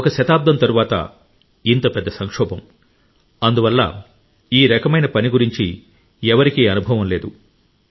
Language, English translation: Telugu, We have met such a big calamity after a century, therefore, no one had any experience of this kind of work